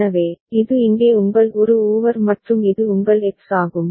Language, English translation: Tamil, So, this is your An over here and this is your X